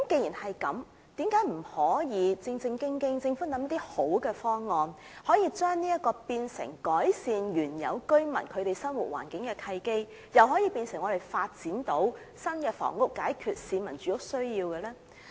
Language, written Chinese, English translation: Cantonese, 因此，政府何不制訂一套良好方案，把這些新發展項目變為"改善原有居民生活環境"的契機，也成為發展新房屋解決市民住屋需要的方案呢？, In view of this why does the Government not formulate a good plan turning such new development projects into opportunities for improving the living environment of original residents as well as options for addressing the housing needs of residents by new housing developments?